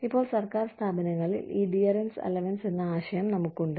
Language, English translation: Malayalam, Now, in government organizations, we have this concept of, dearness allowance